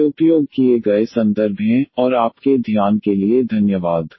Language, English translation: Hindi, These are the references used, and thank you for your attention